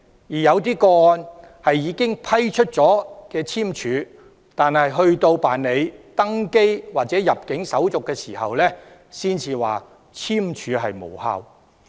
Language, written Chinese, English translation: Cantonese, 在某些個案中，有關當局已經批出簽證，但有關人士在辦理登機或入境手續時，才知悉簽證無效。, In some cases the persons concerned have already been granted visas by the authorities but they only know that their visas are invalid when undergoing the boarding or immigration formalities